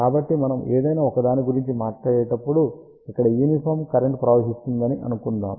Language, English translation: Telugu, So, when we talk about a let us say uniform current flowing through this here